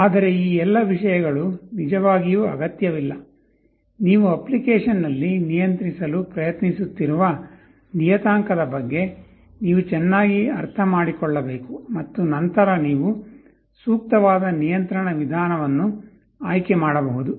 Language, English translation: Kannada, But all these things are really not required, you need to understand better about the parameter you are trying to control in an application and then you can select an appropriate method of control